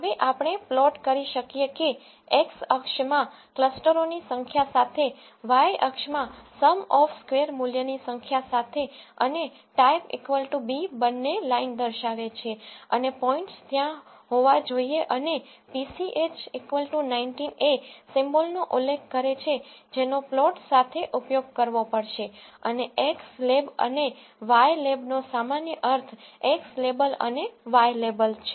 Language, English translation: Gujarati, Now you can plot that with number of clusters in x axis and within sum of squares value in y axis and type is equal to b represents both line and points has to be there and pch is equal to 19 specifies the symbol that has to be used along with the plot and x lab and y lab has their normal meanings which are x label and the Y label